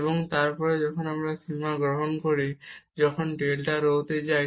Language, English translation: Bengali, And then when we take the limit as delta rho goes to 0